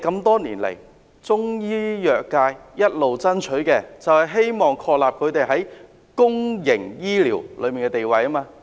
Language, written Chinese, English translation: Cantonese, 多年來，中醫藥界一直爭取的，就是他們在公營醫療中的地位。, For many years what the Chinese medicine industry has been fighting for is their position in the public health care system